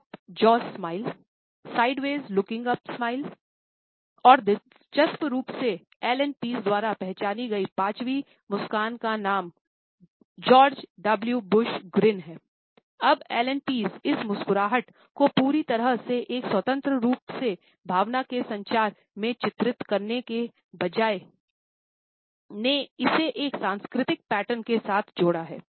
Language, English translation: Hindi, Now, Allan Pease instead of illustrating this grin completely as an independent communication of emotion has linked it with a cultural pattern